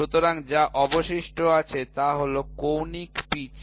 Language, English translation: Bengali, So, what is left is the angular pitch